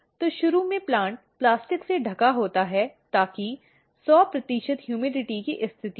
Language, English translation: Hindi, So, initially the plant is covered with plastic so, that there is 100 percent humidity condition